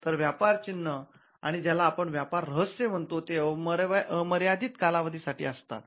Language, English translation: Marathi, Whereas, trademarks and what we call trade secrets are unlimited life